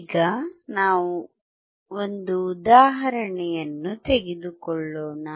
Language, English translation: Kannada, Now we will take an example